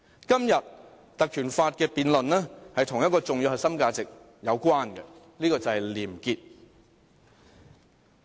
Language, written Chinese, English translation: Cantonese, 今天關於《條例》的辯論跟一個重要核心價值有關，這就是廉潔。, The debate today on the invocation of the Ordinance is related to one important core value probity